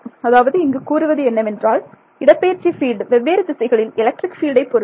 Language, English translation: Tamil, So, what is saying is that the displacement field can depend on electric field in different directions